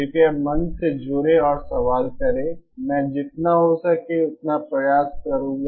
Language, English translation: Hindi, Please join the forum and ask in question, I will try as much as I can